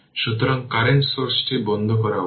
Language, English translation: Bengali, So, current source it should be turned off